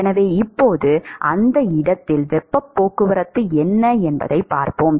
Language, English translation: Tamil, So now, let us say look at what is the heat transport at that location